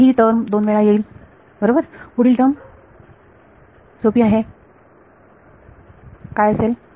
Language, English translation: Marathi, So, this term will be become 2 times right; next final term is easy it is what